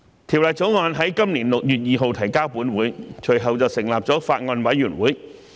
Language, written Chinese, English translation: Cantonese, 《條例草案》在今年6月2日提交本會，隨後成立了法案委員會。, A Bills Committee was formed after the Bill was introduced to the Council on 2 June this year